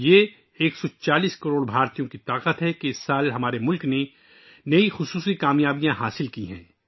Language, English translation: Urdu, It is on account of the strength of 140 crore Indians that this year, our country has attained many special achievements